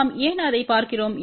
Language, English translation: Tamil, Why we are looking into that